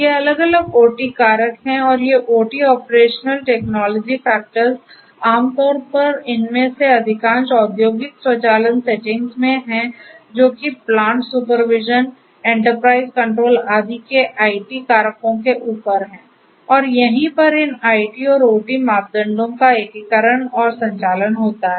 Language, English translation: Hindi, So, these are the different OT factors and these OT operational technology factors typically in most of these industrial automation settings these outweigh the IT factors of plant supervision, enterprise control and so on and this is where this integration and handshaking of these IT and OT parameters for improving the business outcomes this is where this fog can help